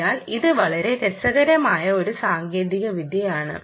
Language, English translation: Malayalam, so this is a very interesting technology